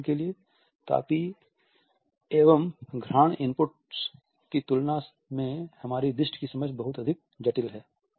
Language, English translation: Hindi, For example, our understanding of the vision is much more complex in comparison to our understanding of thermal and olfaction inputs